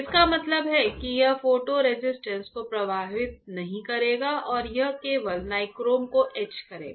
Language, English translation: Hindi, That means, that it will not affect photo resist and it will only etch the nichrome right